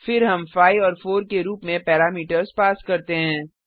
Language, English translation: Hindi, Then we pass the parameters as 5 and 4